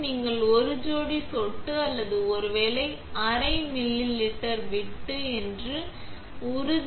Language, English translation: Tamil, Make sure that you have a couple of drops or maybe even half a milliliter left